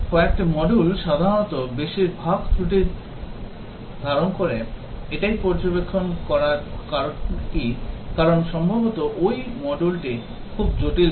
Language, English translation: Bengali, A few modules usually contain most of the defects so that is the observation what is the reason, the reason is that possibly that module was very complex